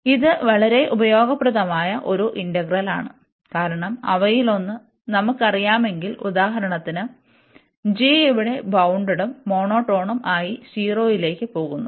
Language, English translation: Malayalam, So, this is a very useful integral, because if we know that one of them, so for example g is here this bounded and monotone going to 0 here